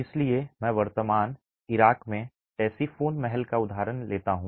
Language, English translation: Hindi, So, I take up this example of the Thessifon Palace in present day Iraq